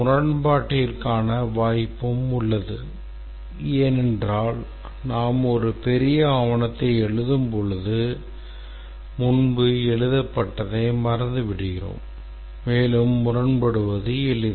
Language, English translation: Tamil, There is scope for contradiction because as we write a large document forget what was written earlier and it is easy to contradict